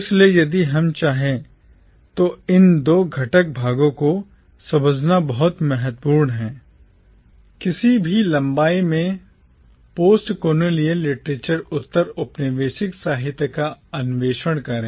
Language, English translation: Hindi, So therefore it is very important to understand these two constituent parts if we want to explore postcolonial literature at any length